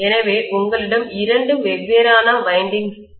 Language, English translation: Tamil, So you have two independent windings there also